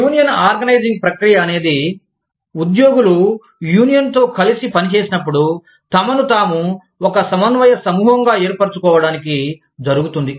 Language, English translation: Telugu, Union organizing process, it takes place, when employees work with a union, to form themselves, into a cohesive group